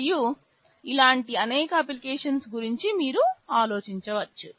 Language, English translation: Telugu, And there are many other similar applications you can think of